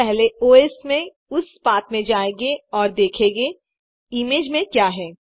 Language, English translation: Hindi, We first navigate to that path in the OS and see what the image contains